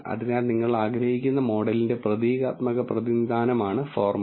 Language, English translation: Malayalam, So, formula is basically a symbolic representation of the model you want to t